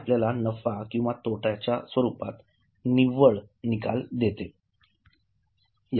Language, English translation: Marathi, It gives you net result in the form of profit or loss